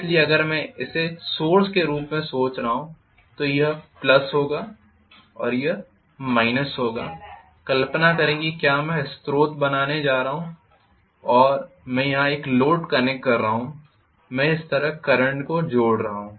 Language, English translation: Hindi, So if I am thinking of it as source this will be plus and this will be minus please imagine if I am going to have a source and I am connecting a load here I will be connecting the current like this